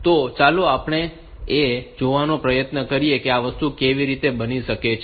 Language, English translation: Gujarati, So, let us try to see like how this thing can happen say